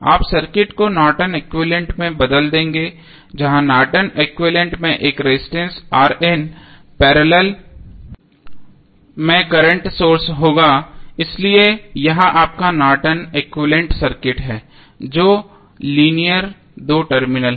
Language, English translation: Hindi, That you will change the circuit to a Norton's equivalent where the Norton's equivalent would be looking like this here in this case you will have current source I N in parallel with one resistance R N so this is your Norton's equivalent of the circuit which is linear two terminal